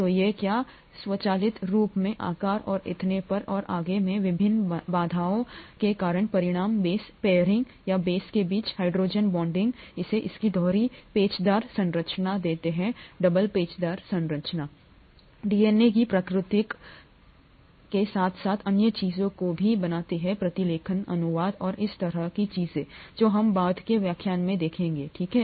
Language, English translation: Hindi, So this is what automatically results because of the various constraints in size and so on and so forth, the base pairing or hydrogen bonding between the bases, gives it its double helical structure and the double helical structure makes other things such as replication of DNA as well as transcription, translation and things like that possible, that we will see in later lectures, okay